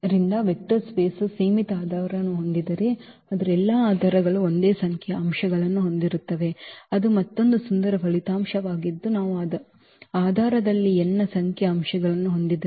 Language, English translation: Kannada, So, if a vector space has finite basis then all of its basis have the same number of elements, that is another beautiful result that if we have the n number of elements in the basis